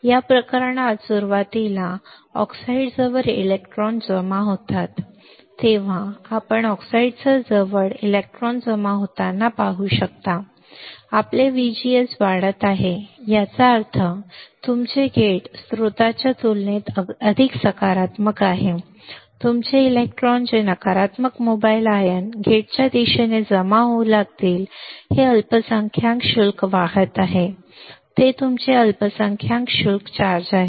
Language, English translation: Marathi, In this case initially electrons accumulate near the oxide, you can see the electrons accumulating near the oxide right when your VGS is increasing; that means, your gate is more positive than compared to source your electrons that is the negative mobile ions will start accumulating towards the gate these are minority charge carriers these are your minority charge carriers